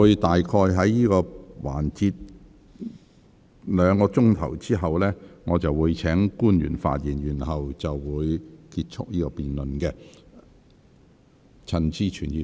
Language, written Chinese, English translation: Cantonese, 當這個環節再進行約兩個小時後，我會請官員發言，然後結束這項辯論。, After this session has proceeded for about another two hours I will call on the public officer to speak and then end this debate